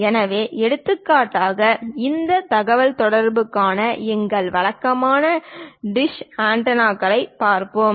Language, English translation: Tamil, So, for example, here let us look at our typical dish antenna for this communication